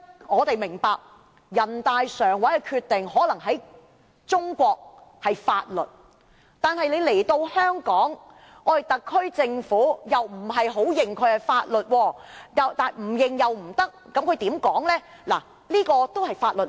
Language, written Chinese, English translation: Cantonese, 我們明白，人大常委會的決定可能在中國是法律，但在香港，特區政府則不太承認是法律，卻又不得不承認是法律。, We understand that a decision of NPCSC is possibly a law in China but here in Hong Kong the SAR Government has not explicitly acknowledged it as such but at the same time it cannot deny it as a law